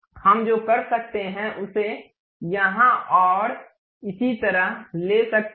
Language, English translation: Hindi, What we can do is take this one here and so on